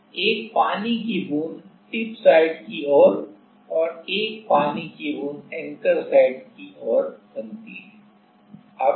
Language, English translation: Hindi, So, one water droplet forms at the towards the tip site and one water droplet forms at the like the anchor site